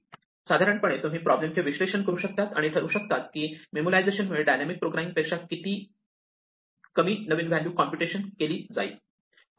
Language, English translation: Marathi, In general even though you can analyze the problem and decide that memoization will result in many fewer new values being computed than dynamic programming